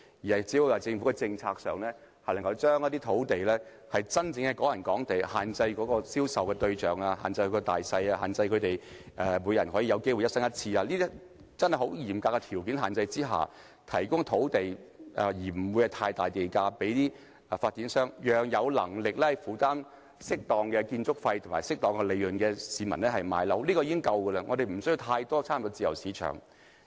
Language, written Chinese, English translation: Cantonese, 政府只要在政策上，將一些土地列為"港人港地"、限制銷售對象、單位大小、只准每人一生買一次等，在十分嚴格的限制下，以不太高的地價批出土地給發展商，讓有能力負擔適當建築費和利潤的市民購買有關單位，這樣便已足夠，我們無須過分插手自由市場。, The Government only needs to implement certain policies earmark some land for the exclusive use of Hong Kong people restrict the target buyers and size of the flats and also only allow each Hong Kong people to buy such kind of flat once in their lifetime . With such strict requirements the land can be sold to developers at reasonable price to build flats for those who can afford to pay the appropriate construction costs and certain profits . That is all the Government has to do it does not need to interfere too much in the free market